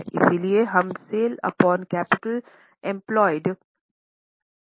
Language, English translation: Hindi, So we are calculating sales upon capital employed